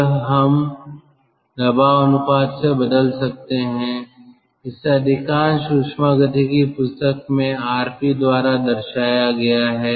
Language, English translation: Hindi, this we can ah replace by pressure ratio, which is in most of the thermodynamics book, which is denoted by r, p